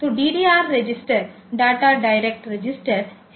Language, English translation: Hindi, So, the DDR register is the data direction register